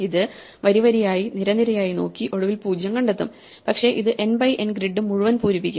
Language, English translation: Malayalam, So, it will do row by row, column by column and it will eventually find the 0s, but it will fill the entire n by n grid